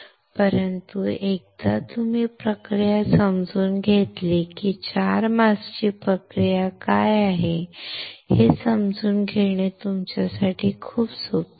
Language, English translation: Marathi, But once you understand the process it is very easy for you to further understand what the process for 4 masks are